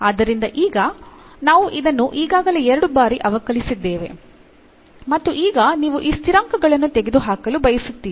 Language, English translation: Kannada, So, now, we have already differentiated this two times and now you want to eliminate these constants